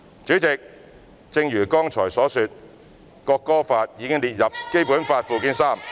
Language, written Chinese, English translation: Cantonese, 主席，正如剛才所說，《國歌法》已列入《基本法》附件三......, President as I have mentioned earlier the National Anthem Law has been added to Annex III to the Basic Law